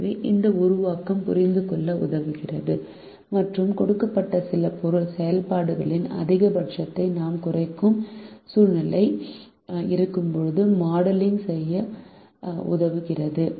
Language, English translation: Tamil, so this formulation helps us to understand and helps us do the modelling when we have situation where we minimize the maximum of certain given functions